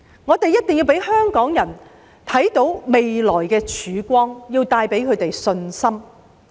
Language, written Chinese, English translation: Cantonese, 我們一定要讓香港人看到未來的曙光，令他們有信心。, We must let Hong Kong people see a ray of hope in the future and give them confidence